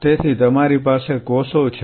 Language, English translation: Gujarati, So, what you are having cells